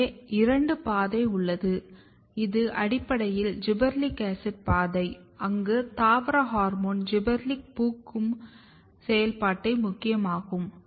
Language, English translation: Tamil, So, you have two pathway one is basically sensed by the gibberellic acid pathway where plant hormone gibberellic is very important in the activating flowering through this one